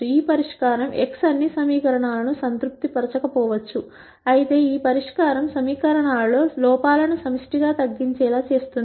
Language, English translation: Telugu, While this solution x might not satisfy all the equations, this solution will ensure that the errors in the equations are collectively minimized